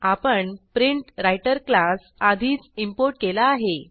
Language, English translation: Marathi, Notice that the PrintWriter class is already imported